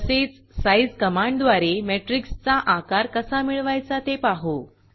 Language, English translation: Marathi, We will now see how to find the size of a Matrix using the size command